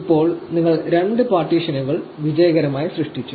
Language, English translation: Malayalam, So, we have successfully created the two partitions